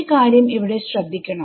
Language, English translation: Malayalam, So, notice one thing over here